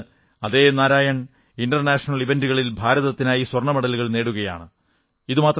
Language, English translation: Malayalam, The same Narayan is winning medals for India at International events